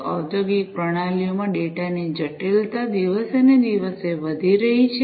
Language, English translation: Gujarati, The complexity of data in industrial systems is increasing day by day